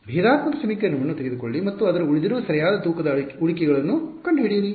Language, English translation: Kannada, Take the differential equation and consider find its residual right weighted residuals